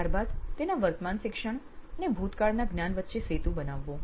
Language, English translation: Gujarati, Then creating the bridge between his past knowledge and he is present learning